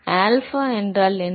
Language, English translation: Tamil, What is alpha